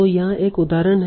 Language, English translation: Hindi, So here is one example